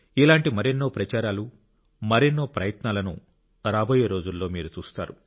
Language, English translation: Telugu, In the days to come, you will get to see many such campaigns and efforts